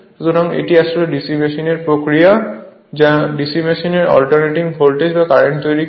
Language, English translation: Bengali, So, this is actually mechanism for your DC machine DC machine actually generates alternating voltage, or current right